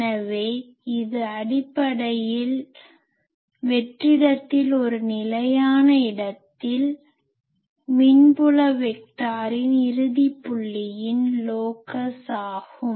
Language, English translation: Tamil, So, the it is basically the locus of the end point of the electric field vector at a fixed location in space